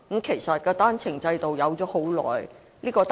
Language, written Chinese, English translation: Cantonese, 其實，單程證制度由來已久。, In fact the One - way Permit Scheme is a long - established system